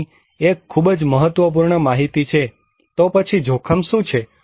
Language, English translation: Gujarati, Here is a very important data, then what is risk